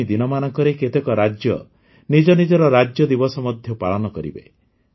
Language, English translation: Odia, In the coming days, many states will also celebrate their Statehood day